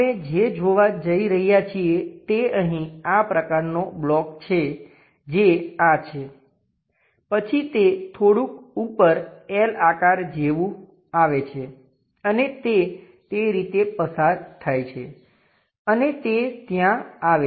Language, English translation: Gujarati, What we are going to see is; here there is such kind of block that is this, then it goes little bit up comes like L shape and goes via in that way and it comes there